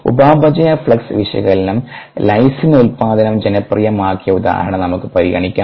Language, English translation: Malayalam, let us consider the example that is that popularized metabolic flux analysis, the lysine introduction